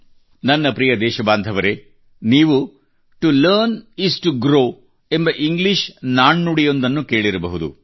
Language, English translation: Kannada, My dear countrymen, you must have heard of an English adage "To learn is to grow" that is to learn is to progress